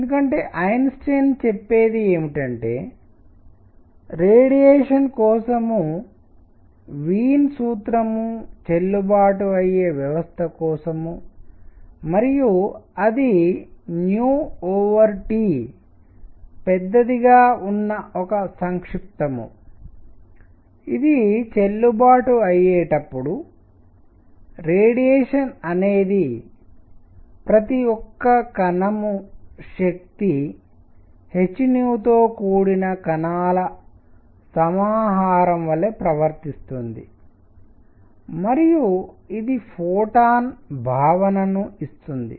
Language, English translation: Telugu, So, why; what Einstein says is that for a system where Wien’s formula for radiation is valid and that is a resume where nu over T is large, when this is valid, the radiation behaves like a collection of particles each with energy h nu and that gives the concept of photon and we want to see; how he did that